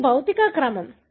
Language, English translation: Telugu, This is the physical order